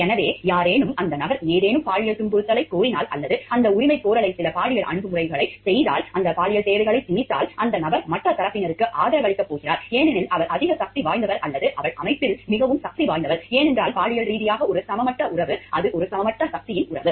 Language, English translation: Tamil, So, somebody, if the person claims of any sexual or makes some sexual approach in the claim of that if given that imposition of sexual requirements, so that the person is going to give the other party the favor, because he is more powerful or she is more powerful in the organization, because sexually the relationship of unequal, its relationship of a unequal power